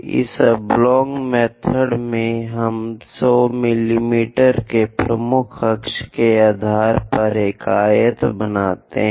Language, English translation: Hindi, In this oblong method, we basically construct a rectangle based on the major axis 100 mm